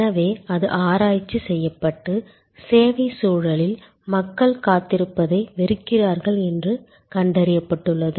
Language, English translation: Tamil, So, it has been researched and found that in the service context people hate to wait